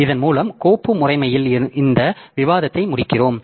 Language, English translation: Tamil, So, with this we conclude this discussion on the file system